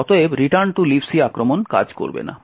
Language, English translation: Bengali, Therefore, it the return to libc attack would not work